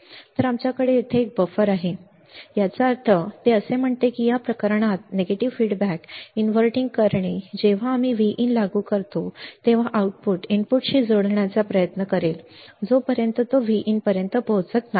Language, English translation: Marathi, So, V have here is nothing, but a buffer; that means, that what it says that the inverting this way negative feedback in this case the when we apply V in the output will try to match the input the output will try to match the input until it reaches the V in, right